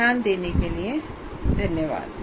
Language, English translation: Hindi, And thank you very much for your attention